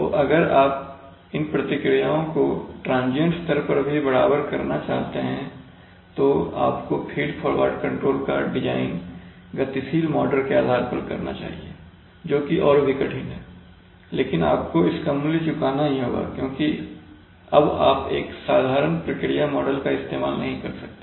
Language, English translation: Hindi, For that, for do so, if you want to really have transient matching even at the transient level then you should design feed forward controllers based on dynamic models, which is even difficult but that price you are paying because you can use a simpler process model